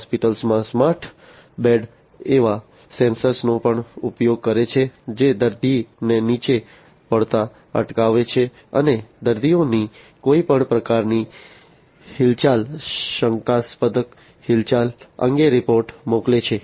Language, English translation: Gujarati, Smart beds in the hospitals also use sensors that prevent the patient from being falling down and sending report about any kind of movement, suspicious movement of the patients